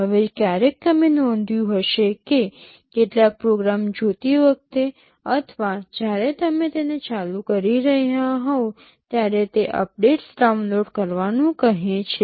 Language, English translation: Gujarati, Now sometimes you may have noticed that while watching some programs or when you are switching it on, it says downloading updates